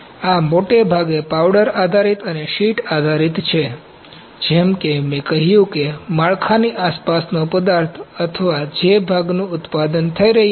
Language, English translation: Gujarati, So, these are mostly the powder based and sheet based as I said the material that is surrounding the build or the part that is being manufactured